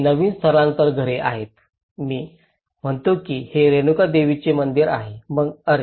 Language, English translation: Marathi, This is newly relocation houses, I say this is Renuka Devi temple then oh